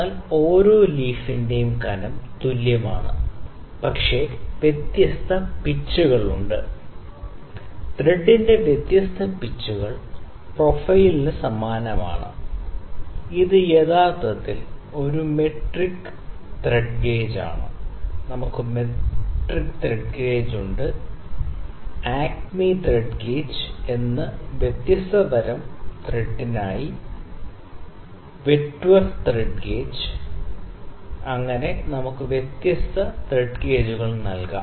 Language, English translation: Malayalam, I will like to correct myself it is different pitches, different pitches of the thread the profile is same it is actually a metric, it is metric thread gauge the metric thread gauge, we can have metric thread gauge, acme thread gauge, then whitworth thread gauge for all different kinds of thread we can have different thread gauges